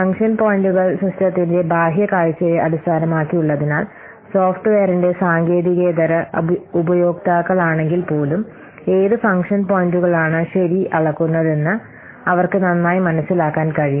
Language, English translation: Malayalam, So, since function points are based on the user's external view of the system, you will see that even if any lame and non technical users of the software, they can also have better understanding of what function points are measuring